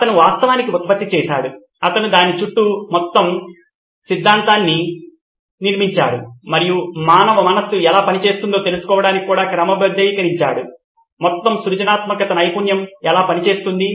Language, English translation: Telugu, He actually generated I mean he build the whole theory around this and even sort to find out how the human mind works, how the whole creative skill works